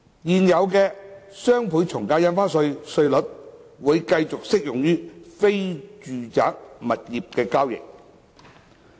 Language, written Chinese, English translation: Cantonese, 現有的雙倍從價印花稅稅率會繼續適用於非住宅物業交易。, Non - residential property transactions will continue to be subject to the existing DSD rates